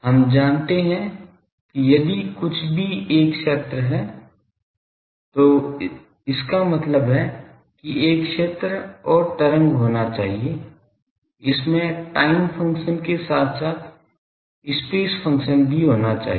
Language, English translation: Hindi, We know that if anything is a field it should have I mean a field and wave; it should have a time function as well as a space function